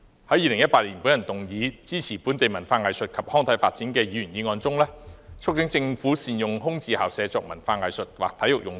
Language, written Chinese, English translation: Cantonese, 在2018年，我動議"開拓場地，創造空間，支持本地文化藝術及康體發展"的議員議案中，促請政府善用空置校舍作文化藝術或體育用途。, In 2018 in the members motion Developing venues and creating room to support the development of local culture arts recreations and sports moved by me I urged the Government to make better use of vacant school premises for cultural arts or sports purposes